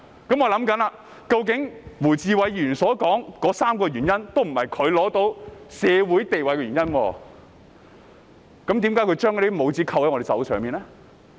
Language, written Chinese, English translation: Cantonese, 於是我想，胡志偉議員所說的3個原因，都不是他獲得社會地位的原因，為何他要將那些帽子扣在我們身上呢？, I then thought none of the three reasons mentioned by Mr WU Chi - wai was the reason why he had gained his social status . Why did he put such labels on us?